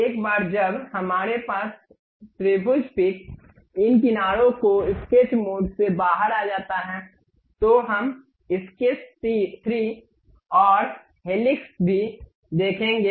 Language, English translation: Hindi, Once we have that triangle pick this edges come out of the sketch mode, then we will see sketch 3 and also helix